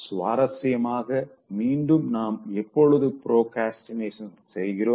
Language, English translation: Tamil, Interestingly again, when do we procrastinate